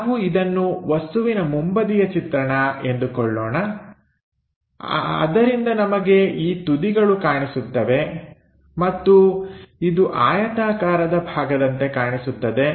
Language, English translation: Kannada, Let us consider the front view of the object is this one, so that we will see these ends something like a rectangular block